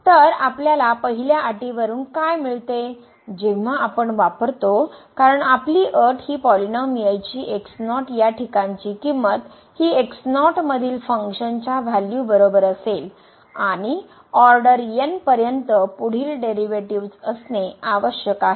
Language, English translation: Marathi, So, having this what we get out of the first condition when we substitute because, our conditions is the polynomial value at must be equal to the function value at and further derivatives upto order n